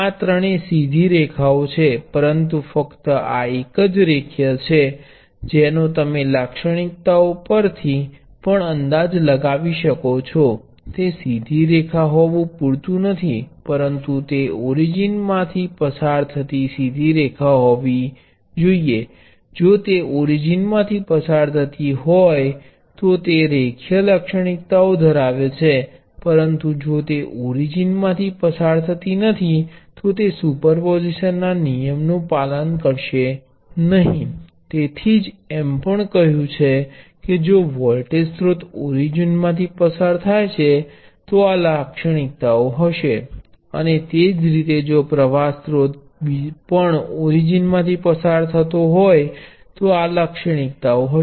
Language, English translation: Gujarati, All these three are to the straight lines, but only this one is linear that you can guess from the characteristics also, it is not enough for it to be a straight line, but it has to be a straight line passing through the origin, it passes to through origin its linear characteristics; if it is not, it is not, it would not superposition, so that is why also said if the voltage source happens to a zero valued, the characteristics would be this, which passes through the origin; and similarly if the current sources zero valued characteristics would be this which passes through the origin, so otherwise they are not linear